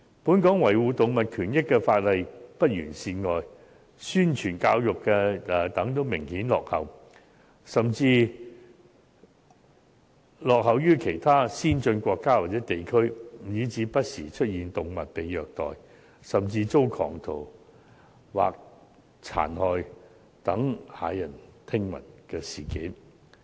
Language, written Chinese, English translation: Cantonese, 本港除了維護動物權益的法例有欠完善外，宣傳教育亦明顯落後於其他先進國家或地區，以致不時出現動物被虐待，甚至遭狂徒殘害等駭人聽聞的事件。, In Hong Kong apart from the incomprehensive legislation relating to animal rights publicity and education are apparently lagging behind other developed countries or regions as well . This explains why horrifying incidents of animals being abused or even murdered by lunatics have happened time and again